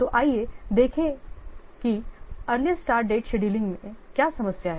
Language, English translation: Hindi, So, let's see what is the, what problem with this earliest start date scheduling